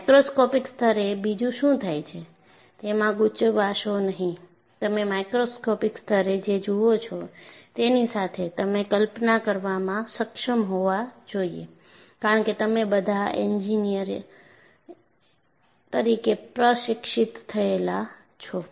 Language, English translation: Gujarati, So, do not confuse what happens at microscopic level, with what you see in a macroscopic level, you should be able to visualize as you are all trained as engineers